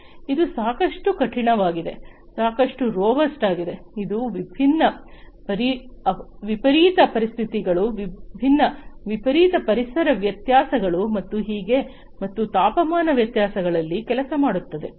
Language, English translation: Kannada, It is also quite rigid, quite robust, it can work under different extreme conditions, different extreme environmental variations, and so on, and temperature variations